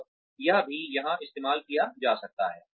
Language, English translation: Hindi, And, that can also be used here